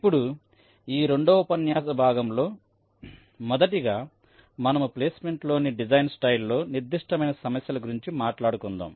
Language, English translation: Telugu, so in this second part of the lecture, first we talked about some of the design style specific issues in placement